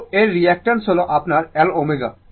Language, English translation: Bengali, So, its reactance is your L omega